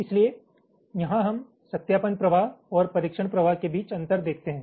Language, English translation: Hindi, so here we show the differences between verification flow and the testing flow